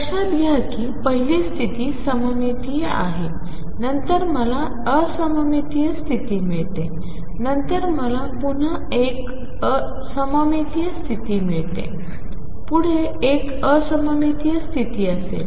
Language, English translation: Marathi, Notice that the first state is symmetric, then I get an anti symmetric state, then I get a symmetric state again, next one will be anti symmetric